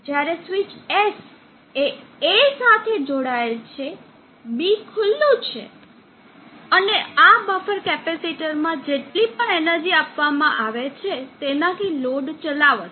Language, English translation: Gujarati, When switch S is connected to A, B is open and whatever energy is thrown in this buffer capacitor, will be driving the load